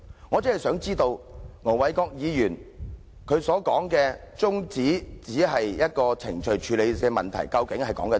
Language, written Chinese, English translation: Cantonese, 我只想知道，盧議員說他動議中止待續議案只是程序處理問題，究竟是甚麼意思？, I just want to know what Ir Dr LO meant when he said that he moved the adjournment motion as a matter of procedure